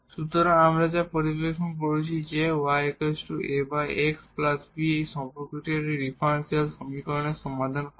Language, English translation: Bengali, So, this is the solution this was satisfy this differential equation